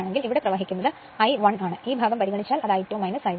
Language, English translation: Malayalam, So, current is flowing here is I 1 right and if you consider this part it is I 2 minus I 1 right